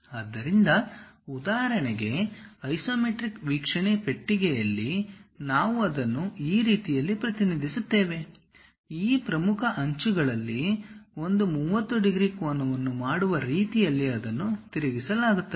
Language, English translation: Kannada, So, for example, in the isometric view the box; we will represent it in such a way that, it will be rotated in such a way that one of these principal edges makes 30 degree angle